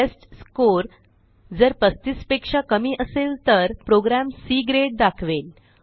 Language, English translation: Marathi, If the testScore is less than 35, then the program displays C Grade